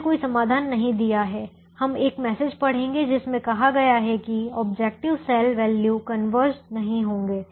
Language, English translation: Hindi, we we will read a message which says the objective cell values do not converge